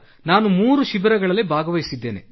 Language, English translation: Kannada, Sir, I have done 3 camps